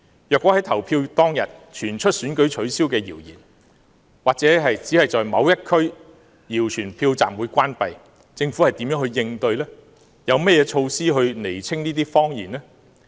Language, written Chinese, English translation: Cantonese, 如果投票當天傳出選舉取消的謠言，或是只在某一區謠傳票站關閉，政府將如何應對，有甚麼措施釐清謊言呢？, If such a rumour or a rumour that the polling stations in a particular constituency were closed surfaced on the day of the election what would the Government do? . Would it have any measures to quash the fake news?